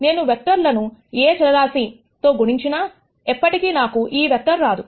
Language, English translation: Telugu, If I multiply this vector by any scalar, I will never be able to get this vector